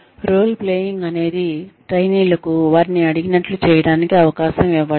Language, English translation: Telugu, Role playing is, the trainees are given a chance to actually do, what they have been asked to do